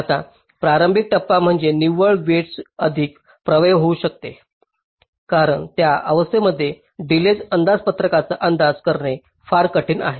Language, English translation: Marathi, the initial stage is net weights can be more effective because delay budgets are very difficult to to estimate during that stage